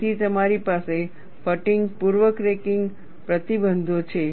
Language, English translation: Gujarati, So, you have fatigue pre cracking restrictions